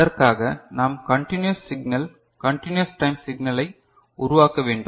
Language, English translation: Tamil, So, for that we need to generate a continuous signal continuous time signal right